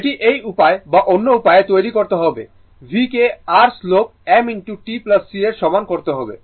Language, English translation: Bengali, This way you have to make it or other way, you have to make it V is equal to your slope m into t plus C right